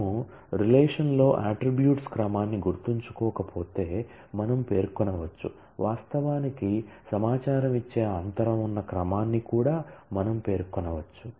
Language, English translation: Telugu, We can specify the; if we if we do not remember the order of attributes in the relation then we can also specify the order in which we are spaced actually giving the information